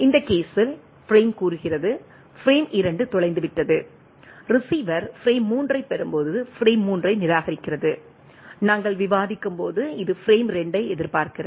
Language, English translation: Tamil, Frame say in this case, frame 2 is lost, when the receiver receives frame 3 discards frame 3, it is expecting 2 as we are discussing